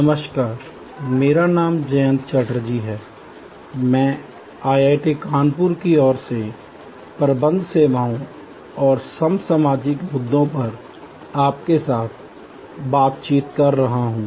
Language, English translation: Hindi, Hello, I am Jayanta Chatterjee and I am interacting with you on behalf of IIT Kanpur on Managing Services and contemporary issues in today's world